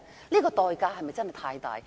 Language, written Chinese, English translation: Cantonese, 不過，代價是否太大呢？, However is the price too big to pay?